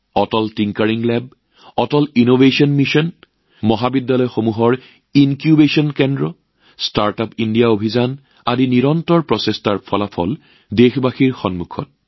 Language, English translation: Assamese, Atal Tinkering Lab, Atal Innovation Mission, Incubation Centres in colleges, StartUp India campaign… the results of such relentless efforts are in front of the countrymen